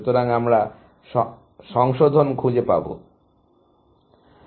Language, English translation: Bengali, So, I have to find revise